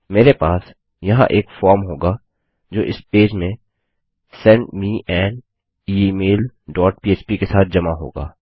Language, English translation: Hindi, I will have a form here which will submit to this page with send me an email dot php